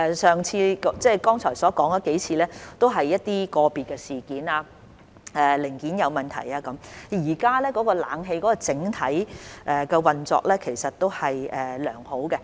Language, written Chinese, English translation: Cantonese, 剛才提及的數次故障僅屬個別事件，例如零件問題，現時冷氣的整體運作都是良好的。, The several breakdowns mentioned just now are only isolated incidents such as problems with components and the overall operation of the air - conditioning system is fine now